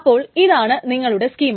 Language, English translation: Malayalam, So you can, then this is your schema